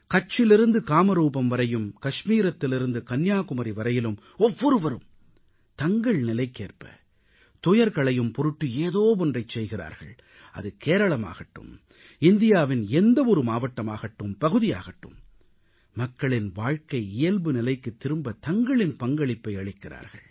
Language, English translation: Tamil, From Kutch to Kamrup, from Kashmir to Kanyakumari, everyone is endeavoring to contribute in some way or the other so that wherever a disaster strikes, be it Kerala or any other part of India, human life returns to normalcy